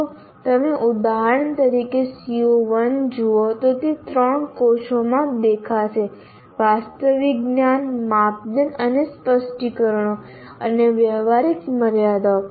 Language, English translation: Gujarati, And if you look at CO1 for example, it will appear in three cells right from factual knowledge, criteria and specifications and practical constraints